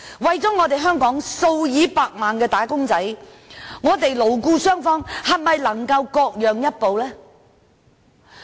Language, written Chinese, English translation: Cantonese, 為香港數以百萬計的"打工仔"着想，勞資雙方能否各讓一步呢？, For the sake of millions of employees in Hong Kong can both the labour side and the employer side seek a compromise?